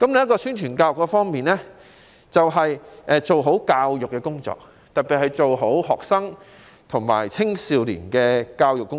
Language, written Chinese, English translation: Cantonese, 在宣傳教育方面，我們必須做好教育工作，特別是學生和青少年的教育工作。, As far as publicity and education are concerned we need to do a good job in education especially education for students and young people